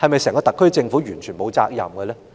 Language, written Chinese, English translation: Cantonese, 整個特區政府是否完全沒有責任呢？, Is the entire SAR Government completely free of responsibility here?